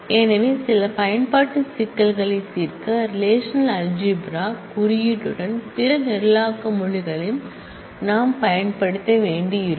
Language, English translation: Tamil, So, we might need to use other programming languages along with the relational algebra coding for solving some of the application problems